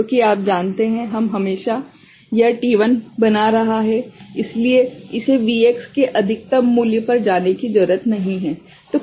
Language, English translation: Hindi, Because we are always you know, this making t1, so it is not need to go to the you know, the maximum value of the Vx